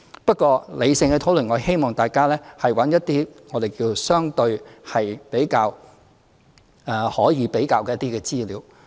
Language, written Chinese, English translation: Cantonese, 不過，理性地討論，我希望大家找一些相對可以比較的資料。, But for the sake of a rational discussion I hope that Members will look for some comparable data